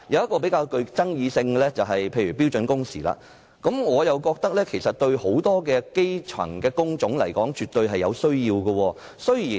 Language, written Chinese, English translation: Cantonese, 較具爭議的一點是標準工時，我認為就很多基層工種而言，這是絕對有需要的。, A more controversial point is standard working hours . In my view this is absolutely necessary for many types of jobs at the grass - roots level